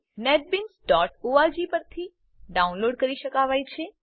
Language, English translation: Gujarati, Netbeans can be downloaded from netbeans.org